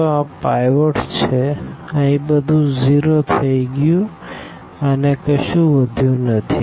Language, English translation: Gujarati, So, here this is pivot everything 0 here and there is nothing left